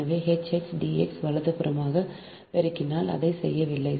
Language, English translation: Tamil, so h x into d x, right, multiplied by one